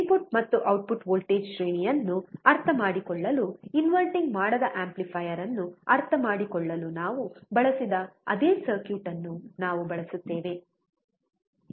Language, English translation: Kannada, To understand the input and output voltage range, we use the same circuit that we used for understanding the non inverting amplifier